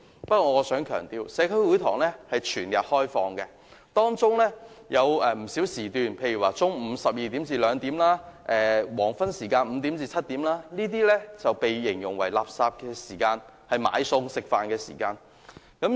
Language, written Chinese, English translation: Cantonese, 不過，我想強調，社區會堂是全日開放的，當中有不少時段，例如中午12時至2時及黃昏5時至7時，都被形容為"垃圾時間"，是"買餸"、食飯的時間。, I nonetheless wish to emphasize one point . The halls are open round the clock and certain periods can be described as rubbish hours for example from 12col00 noon to 2col00 pm and from 5col00 pm to 7col00 pm during which people usually go to the market or take meals